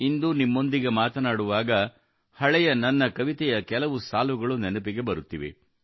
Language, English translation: Kannada, When I am talking to you today, I am reminded of a few lines of an old poem of mine…